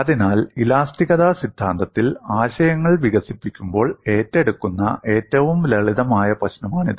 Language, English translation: Malayalam, So, this is one of the simplest problems taken up while developing concepts in theory of elasticity